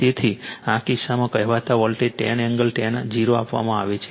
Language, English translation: Gujarati, So, in this case your what you call voltage is given 10 angle 0